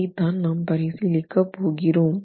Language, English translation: Tamil, So, this is what we are going to be examining